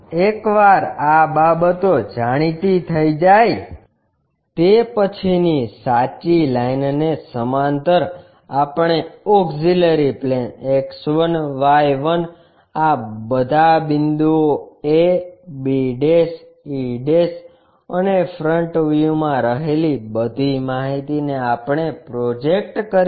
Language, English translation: Gujarati, Once these things are known, parallel to the true line we will draw an auxiliary plane X 1, Y 1, project all these a, b', e' whatever this front view information we have it, we project it